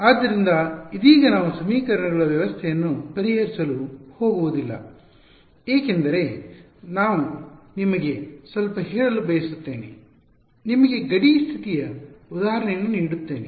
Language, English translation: Kannada, So, in right now we would not go into actually solving the system of equations, because I want to tell you a little bit give you give you an example of a boundary condition